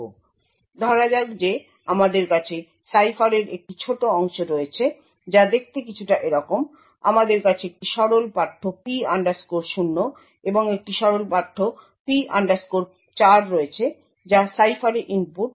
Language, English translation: Bengali, So, let us say that we have a small part of the cipher which looks something like this, we have a plain text P 0 and a plain text P 4 which is the input to the cipher